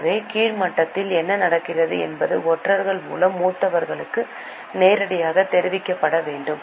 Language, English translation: Tamil, So, what is happening at a lower level was to be directly reported to seniors through spies